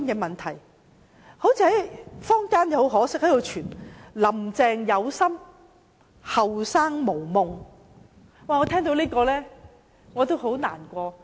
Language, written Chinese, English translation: Cantonese, 很可惜，坊間流傳一句說話:"林鄭有心，後生無夢"，我聽到這句話感到很難過。, Unfortunately there is a popular saying in the community Carrie LAM has the heart to achieve something but young people do not care . I feel sad upon hearing that